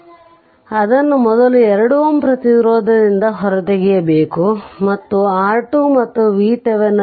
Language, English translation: Kannada, So, we have to take it off first 2 ohm resistance right and you have to find out R Thevenin and V Thevenin